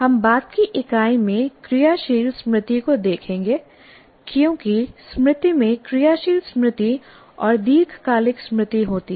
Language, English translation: Hindi, We will look at working memory in the later unit because memory consists of working memory and long term memory